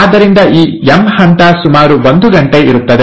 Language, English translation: Kannada, So this is the M phase, which will last for about an hour